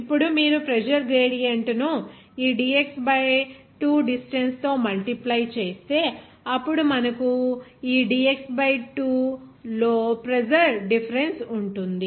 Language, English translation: Telugu, Now, if you multiply this pressure gradient over this dx by 2 distance, then we can have pressure difference over this dx by 2